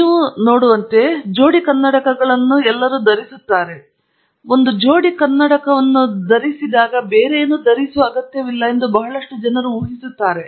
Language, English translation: Kannada, As you can see, I am already wearing a pair of glasses okay; so a lot of people assume that once you wear a pair of glasses, you donÕt need to wear anything else